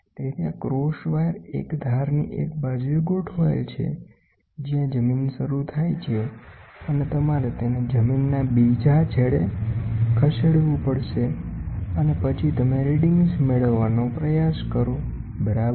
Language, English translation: Gujarati, So, this cross wire is aligned to one side of the of the one edge, where the land starts and you have to move it to the other end of the land starts and then you try to get the readings, ok